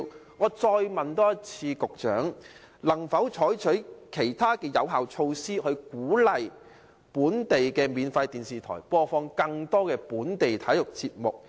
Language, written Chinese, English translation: Cantonese, 我現時再一次問局長，能否採取其他有效措施，以鼓勵本地免費電視台播放更多本地體育節目？, Now I put the question to the Secretary once again Will other effective measures be adopted to encourage local free television broadcasters to broadcast more local sports programmes?